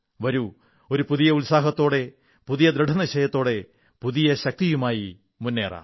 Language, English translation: Malayalam, Come, let us proceed with a new zeal, new resolve and renewed strength